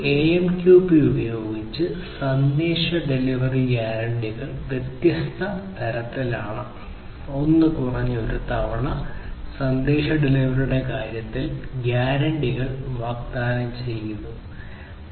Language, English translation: Malayalam, The message delivery guarantees are of different types using AMQP: one is at least once; that means, offering guarantees in terms of message delivery